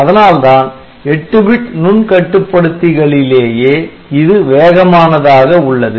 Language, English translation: Tamil, So, which makes it faster among 8 bit microcontrollers